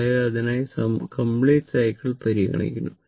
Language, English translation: Malayalam, You have to consider the complete cycle